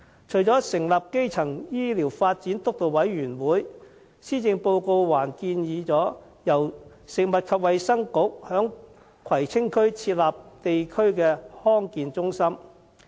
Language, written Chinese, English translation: Cantonese, 除了成立基層醫療健康發展督導委員會，施政報告還建議由食物及衞生局在葵青區設立地區康健中心。, Apart from establishing a steering committee on primary health care development the Policy Address further suggested the Food and Health Bureau set up a district health centre in Kwai Tsing District